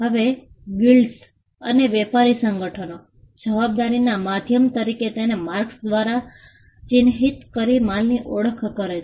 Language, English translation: Gujarati, Now, Guilds and trade organizations in the earliest times identified goods by marks as a means of liability